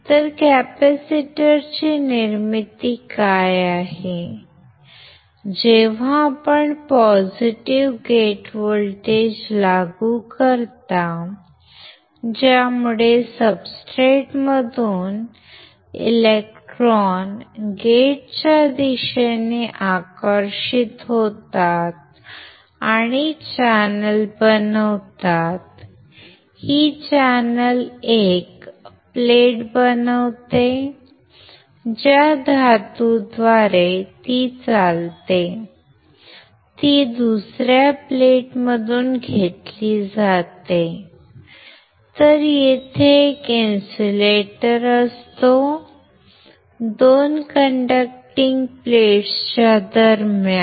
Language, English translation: Marathi, So, here we can see that there is formation of capacitor, when you apply a positive gate voltage, and the due to which the electrons from the substrate gets attracted towards the gate and forms the channel, this channel forms 1 plate, the metal through which the conducts are taken is from another plate